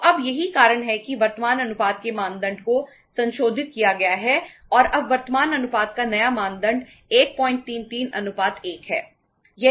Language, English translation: Hindi, So now this is the reason that why the norm of the current ratio has been revised and now the new norm of the current ratio is 1